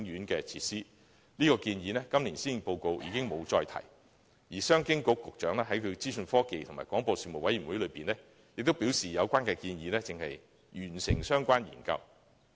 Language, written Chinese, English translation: Cantonese, 今年的施政報告已沒有再提出這項建議，而商務及經濟發展局局長亦在資訊科技及廣播事務委員會會議上表示，有關建議的相關研究尚未完成。, The Policy Address this year however is silent on this proposal . Meanwhile the Secretary for Commerce and Economic Development stated at a meeting held by the Legislative Council Panel on Information Technology and Broadcasting that the associated studies related to the proposal had yet been completed